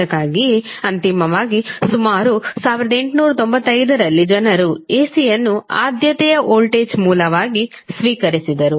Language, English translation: Kannada, So, that is why finally around 1895 people accepted AC as a preferred voltage source